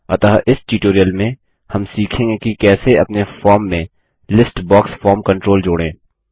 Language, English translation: Hindi, So in this tutorial, we will learn how to add a List box form control to our form